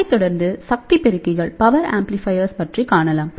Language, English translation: Tamil, So, this will be followed by power dividers